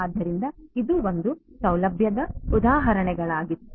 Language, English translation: Kannada, So, this was the single facility examples